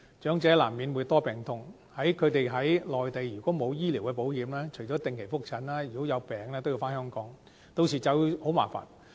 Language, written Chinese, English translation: Cantonese, 長者難免會多病痛，他們如果在內地沒有醫療保險，除了定期覆診，如果有病也要回港診治，屆時便會很麻煩。, Elderly persons are more prone to illnesses . If they are not covered by any medical insurance schemes on the Mainland they will need to return to Hong Kong for the treatment of illnesses aside regular follow - up consultations . This will be very troublesome